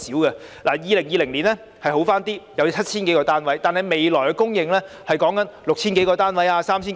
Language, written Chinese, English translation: Cantonese, 2020年的情況稍好，有 7,000 多個居屋單位供應，但未來只有 6,000 多個及 3,000 多個。, The situation in 2020 was a bit better with more than 7 000 HOS flat units available but there will only be 6 000 - odd and 3 000 - odd flat units available in the days to come